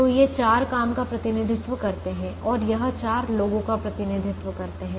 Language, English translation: Hindi, so these represent the four jobs and this represents the four people